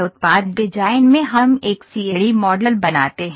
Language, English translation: Hindi, In product design we make a CAD model